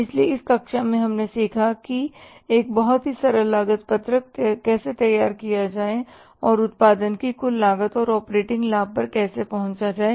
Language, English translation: Hindi, So, in this class we have learned about how to prepare a very simple cost sheet and how to arrive at the total cost of production and the operating profit